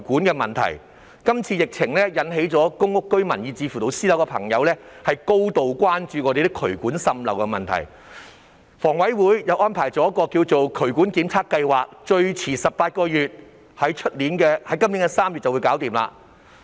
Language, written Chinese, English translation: Cantonese, 這次疫情引起公屋居民以至私人樓宇住戶高度關注渠管滲漏的問題，房委會推行了渠管檢查計劃，預計18個月內完成，即最遲於今年3月完成計劃。, The pandemic this time around has aroused the grave concern of residents of public rental housing and private buildings about the problem of sewage pipe leakage . HA has commenced the Drainage Inspection Programme which is expected to be completed within 18 months or by March this year at the latest